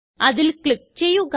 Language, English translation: Malayalam, Click on the first result